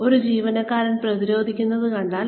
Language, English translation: Malayalam, If you see an employee, getting defensive